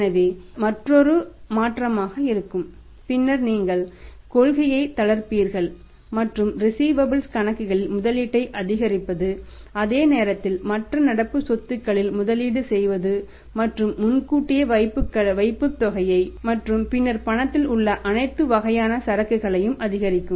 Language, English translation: Tamil, So, that will be another change and then you are relaxing the policy and increasing the investment in accounts receivable at the same time the investment in the other current assets and also increase that is in the inventory all kind of inventory that in the advance deposits and then in the cash